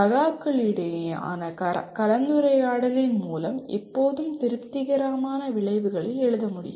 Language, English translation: Tamil, It is always through discussion between peers will lead to coming out with the satisfactory outcomes